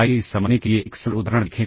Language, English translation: Hindi, Let us look at a simple example to understand this